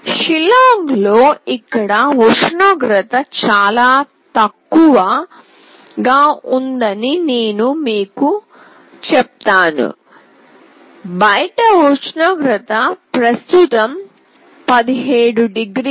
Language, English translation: Telugu, Let me tell you the temperature out here in Shillong is quite low; the outside temperature currently is 17 degrees